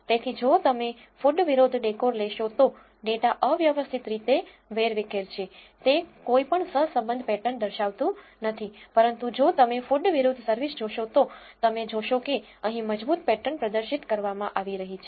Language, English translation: Gujarati, So, if you take food versus decor the data is randomly scattered so, it does not show any correlation patterns, but whereas, if you see for food versus service you see strong patterns being exhibited here